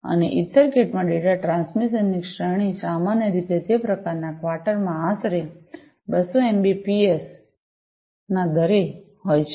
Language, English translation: Gujarati, And, the range of data transmission in EtherCat is typically in the rate of about 200 Mbps, 200 Mbps in that kind of quarter